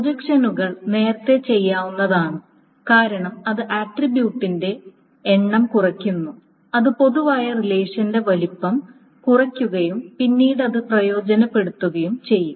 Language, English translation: Malayalam, Again, projections can be done early because that reduces the number of attributes that reduces the size of the relation in general and again that can be beneficial later